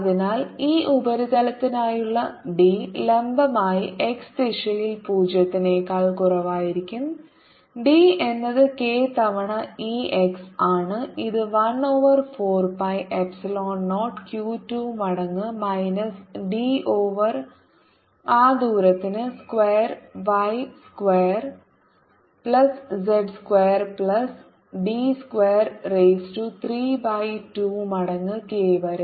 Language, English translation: Malayalam, and d perpendicular from x greater than or equal to zero side is going to be only e x, which is equal to one over four, pi epsilon zero in the brackets, minus q d plus q one, d one over that distance, y square plus z square plus d square, raise to three by two